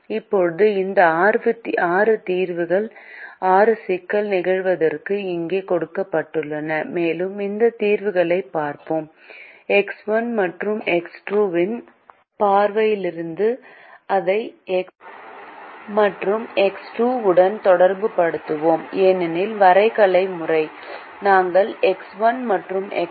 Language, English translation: Tamil, now these six solutions are given here for the six problem instances, and let us look at these solutions only from the point of view of x one and x two and relate it to x one and x two because the graphical method we used only x one and x two